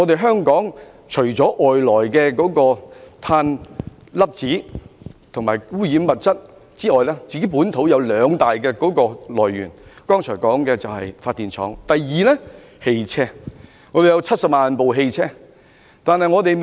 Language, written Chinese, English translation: Cantonese, 香港除了外來的碳粒子及污染物質之外，本土的污染來源有兩大類別，包括剛才提過的發電廠，其次便是汽車。, Apart from foreign carbon particles and pollutants there are two major local sources of pollution in Hong Kong namely the power plants mentioned just now and motor vehicles